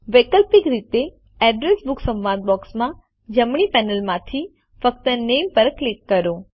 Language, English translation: Gujarati, Alternately, in the Address Book dialog box, from the right panel, simply click on Name